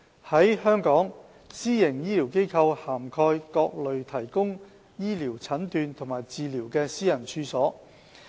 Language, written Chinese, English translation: Cantonese, 在香港，私營醫療機構涵蓋各類提供醫療診斷和治療的私人處所。, In Hong Kong PHFs comprise a wide range of privately - owned facilities providing medical diagnosis and treatment